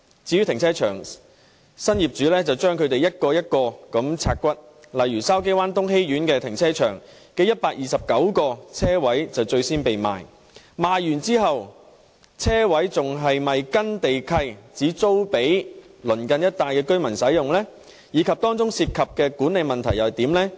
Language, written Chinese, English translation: Cantonese, 至於停車場，新業主把它們一個一個"拆骨"，例如筲箕灣東熹苑停車場的129個車位最先被出售，而在出售後，車位是否還按照地契規定只租給鄰近一帶的居民使用，以及當中涉及的管理問題又如何？, As regards car parks these new property owners also split them up one by one . For example in Tung Hei Court Shau Ki Wan 129 parking spaces were the first ones to be put up for sale and now that they have been sold will the parking spaces be rented only to nearby residents according to the terms in the land lease? . How will the management issues involved be dealt with?